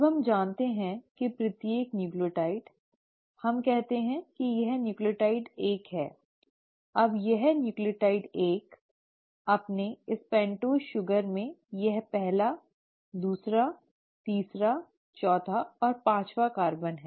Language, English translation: Hindi, Now we know that each nucleotide, so let us say this is nucleotide 1; now this nucleotide 1 in its pentose sugar has the first, the second, the third, the fourth and the fifth carbon